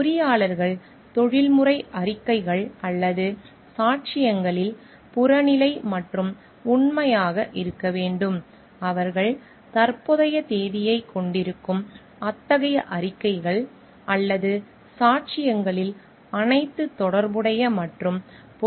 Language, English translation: Tamil, Engineers should be objective and truthful in professional reports statements or testimony, they shall include all relevant and pertinent information in such reports, statements or testimony which should bear the date when it was current